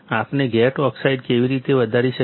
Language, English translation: Gujarati, How can we grow gate oxide